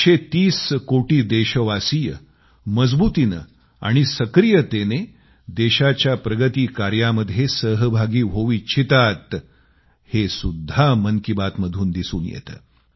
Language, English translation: Marathi, 'Mann Ki Baat' also tells us that a 130 crore countrymen wish to be, strongly and actively, a part of the nation's progress